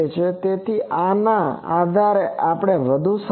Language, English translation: Gujarati, So, based on this is also is more similar